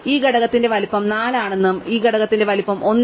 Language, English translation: Malayalam, So, we will say that the size of this component is also 4 and the size of this component is 1